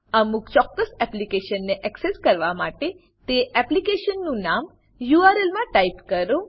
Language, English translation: Gujarati, To access a particular application type that application name in the URL